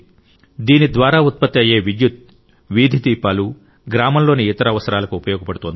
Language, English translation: Telugu, The electricity generated from this power plant is utilized for streetlights and other needs of the village